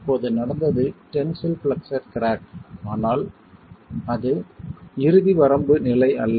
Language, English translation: Tamil, What has happened now is tensile flexual cracking but that is not an ultimate limit state